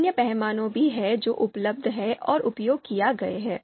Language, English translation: Hindi, So there are other scales also which are available which have been used also